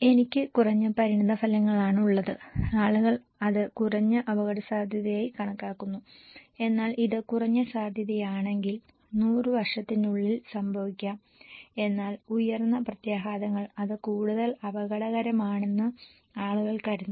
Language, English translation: Malayalam, I have at have low consequences, people consider that as low risk but when this is low probability, may be happening in 100 years but high consequences people consider that as more risky